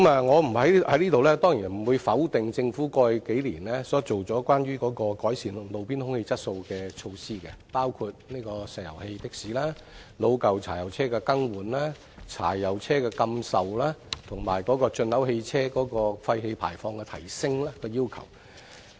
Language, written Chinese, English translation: Cantonese, 我在這裏當然不會否定政府過去數年所推行，關於改善路邊空氣質素的措施，包括石油氣的士、老舊柴油車的更換、柴油車的禁售，以及提高進口汽車廢氣排放的要求。, I have absolutely no intention of denying the Governments efforts in improving roadside air quality over the past years including its work on the liquefied petroleum gas taxis replacement of old diesel vehicle diesel vehicle ban as well as raising the emission control for imported vehicles